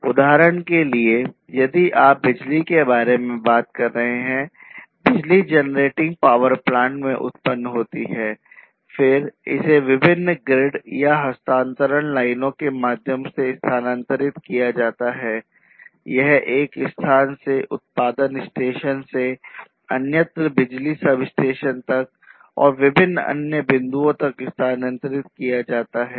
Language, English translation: Hindi, For instance, if you are talking about electricity; electricity gets generated in the generating power plant, then it is transferred through different grids and transmission lines it is transferred from one location from the generation station to elsewhere to this station to the electricity substations and different other points